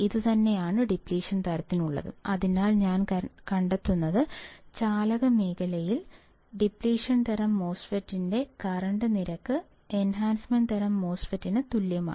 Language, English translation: Malayalam, So, what I find is that the in the conduction region, the current rate of a depletion time MOSFET is equal to the enhancement type MOSFET